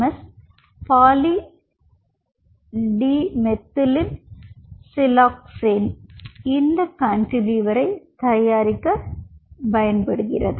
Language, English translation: Tamil, pdms polydimethylsiloxane is one such ah member which could be used for making this cantilever